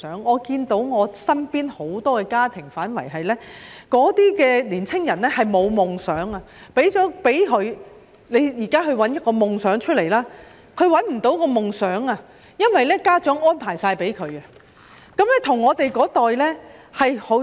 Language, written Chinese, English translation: Cantonese, 我看到身邊很多家庭的年輕人沒有夢想，即使給他們錢，請他們尋找夢想，他們也找不到，因為家長甚麼也為他們作好安排。, I can see that youngsters of many families around me do not have dreams . In that case even if there is money for them to find their dreams they may fail to do so because parents have prepared everything for them